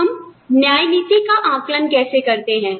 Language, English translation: Hindi, Now, how do we assess equity